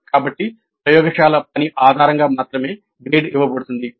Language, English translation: Telugu, So the grade is awarded based only on the laboratory work